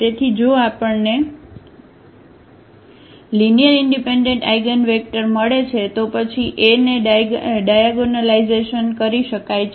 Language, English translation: Gujarati, So, if we get n linearly independent eigenvectors then A can be diagonalized